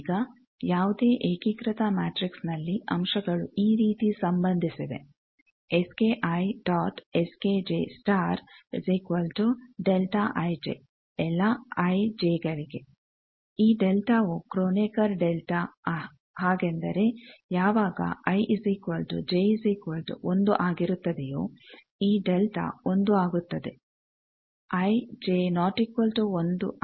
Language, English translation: Kannada, Now, if for any unitary matrix the elements are related like these is S k i dot S k j star is delta i j this delta is kronecker that means, when i j equal to 1, this delta becomes 1